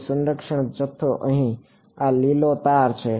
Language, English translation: Gujarati, So, that conserve quantity is this green arrow over here